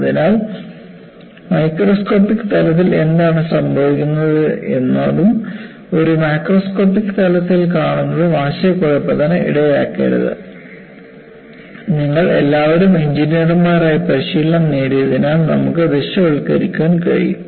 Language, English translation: Malayalam, So, do not confuse what happens at microscopic level, with what you see in a macroscopic level, you should be able to visualize as you are all trained as engineers